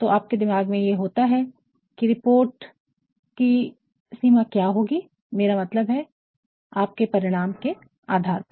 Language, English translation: Hindi, So, you will always have in your mind, what will be the scope of this report I mean based on your findings